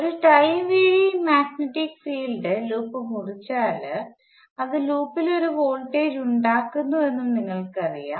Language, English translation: Malayalam, You know that if a time varying magnetic fields cuts the loop, it induces a voltage in the loop